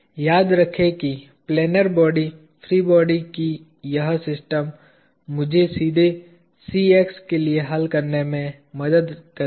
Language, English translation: Hindi, Remember this system of planar bodies free body will help me solve for Cx directly